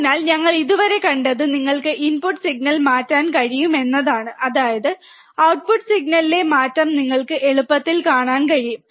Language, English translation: Malayalam, So, what we have seen until now is that you can change the input signal, and based on that, you can easily see the change in the output signal